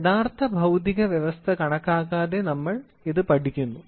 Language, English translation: Malayalam, So, it is studied rather than the actual physical system